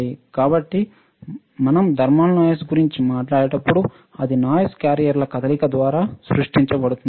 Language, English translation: Telugu, So, when we talk about thermal noise right, it is noise created by the motion of the carriers